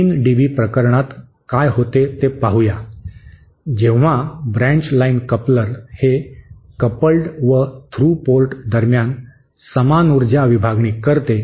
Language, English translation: Marathi, Let us see what happens for a 3 dB case, that is when the branch line coupler provides equal power division between the coupled and the through ports